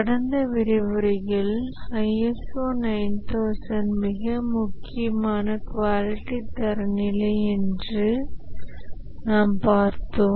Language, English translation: Tamil, In the last lecture, we had said that ISO 9,000 is a very important quality standard